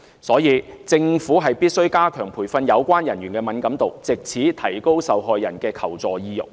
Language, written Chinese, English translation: Cantonese, 所以，政府必須加強培訓有關人員的敏感度，藉此提高受害人的求助意欲。, For that reason the Government should strengthen the training of relevant workers in order to enhance their sensitivity and boost the desire of the victims to seek help